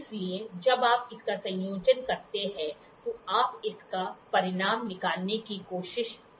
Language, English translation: Hindi, So, when you put a combination of this you try to get the result out of it